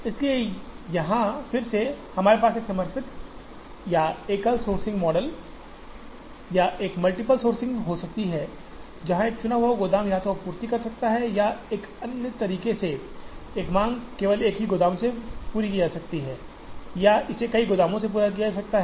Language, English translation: Hindi, So, here again, we can have a dedicated or a single sourcing model or a multiple sourcing, where a chosen warehouse can supply to either or the other way, a demand is met only completely from one warehouse or it can be met from multiple warehouses